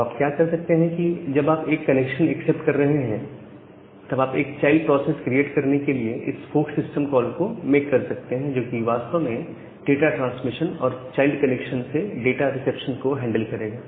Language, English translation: Hindi, So what you can do that once you are accepting a connection then you can make this fork system call to create a child process, which will actually handle the data transmission and data reception from that particular child connection